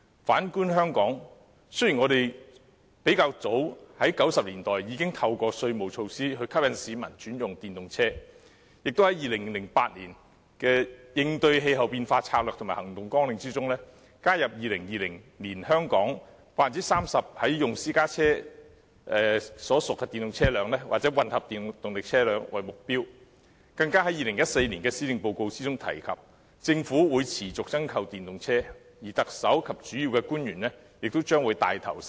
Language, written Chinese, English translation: Cantonese, 反觀香港，雖然我們早於1990年代已透過稅務措施吸引市民轉用電動車，亦在2008年的"香港應對氣候變化策略及行動綱領"中，加入2020年香港 30% 在用私家車屬電動車輛或混合動力車輛為目標，更在2014年的施政報告中提及政府會持續增購電動車，而特首及主要官員亦將會牽頭使用。, In the case of Hong Kong as early as the 1990s we encouraged people to switch to EVs through tax measures . In the Hong Kongs Climate Change Strategy and Action Agenda in 2008 we incorporated the target concerning 30 % of private cars in use being EVs or hybrid cars by 2020 . It was also mentioned in the 2014 Policy Address that the Government would continue to purchase more EVs while the Chief Executive and principle officials would take the lead in using them